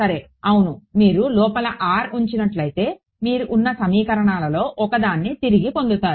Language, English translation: Telugu, Well yeah if you put r insider v 2 you will get back one of the equations you are